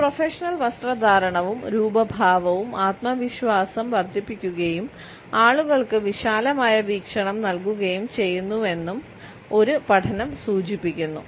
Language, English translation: Malayalam, A study also indicate that a professional dress and appearance increases confidence and imparts a broader perspective to people